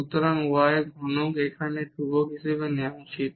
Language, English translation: Bengali, So, the y cube will be as taken as constant here